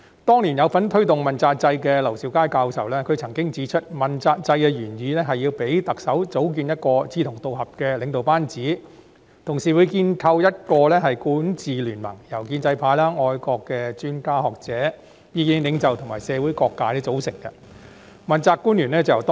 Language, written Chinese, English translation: Cantonese, 當年參與推動問責制的劉兆佳教授曾指出，問責制的原意是要讓特首組建志同道合的領導班子，同時建構一個管治聯盟，由建制派、愛國的專家、學者、意見領袖及社會各界組成，從中挑選問責官員。, Prof LAU Siu - kai who participated in taking forward the accountability system back then once pointed out that the original intent of the accountability system was to enable the Chief Executive to build a governance team comprising like - minded individuals and form a ruling coalition consisting of pro - establishment figures patriotic experts academics and opinion leaders and also various social sectors and the Chief Executive might select any of them as accountability officials